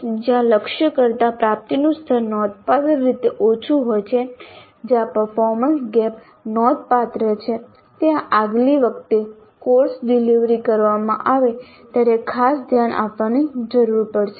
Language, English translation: Gujarati, The COs where the attainment levels are substantially lower than the target, that means where the performance gaps are substantial would require special attention the next time the course is delivered